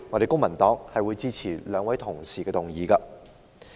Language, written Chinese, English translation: Cantonese, 公民黨當然會支持兩位同事的議案。, The Civic Party will certainly support the motions proposed by the two Honourable colleagues